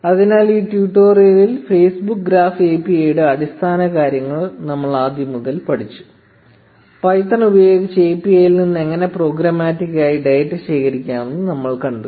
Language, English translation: Malayalam, So, in this tutorial, we learnt the basics of the Facebook Graph API from scratch, and saw how to collect data from API programmatically using python